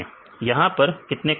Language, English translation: Hindi, So, here how many columns here